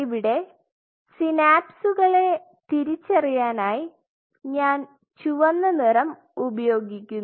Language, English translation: Malayalam, So, let us identify the synapses by say let me use red color